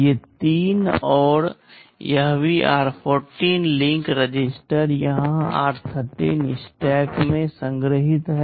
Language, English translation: Hindi, These three and also this r14 link register are stored in r13 stack here